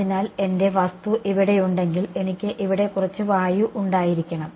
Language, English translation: Malayalam, So, this is why when I have my object over here I need to have some air over here right